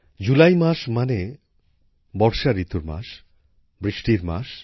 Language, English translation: Bengali, The month of July means the month of monsoon, the month of rain